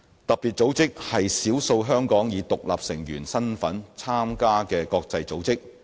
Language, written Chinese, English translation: Cantonese, 特別組織是少數香港以獨立成員身份參加的國際組織。, FATF is one of the few international organizations that Hong Kong joins as an independent member